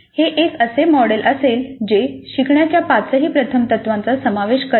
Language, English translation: Marathi, It will be a model which incorporates all the five first principles of learning